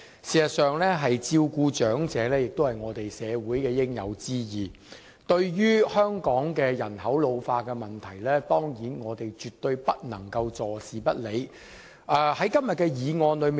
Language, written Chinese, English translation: Cantonese, 事實上，照顧長者是社會的應有之義，對於香港人口老化的問題，我們當然絕對不能夠坐視不理。, Taking care of the elderly is in fact a due responsibility of society and we of course cannot turn a blind eye to the problem of ageing population in Hong Kong